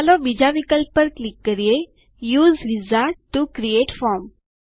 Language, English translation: Gujarati, Let us click on the second option: Use Wizard to create form